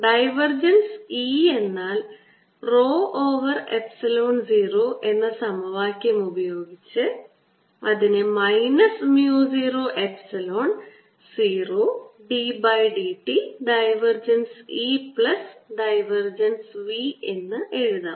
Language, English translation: Malayalam, by using the equation that divergence of e is equal to rho over epsilon zero, we can write this equation as epsilon zero, mu zero d by d t of divergence of e, with a minus sign plus divergence of v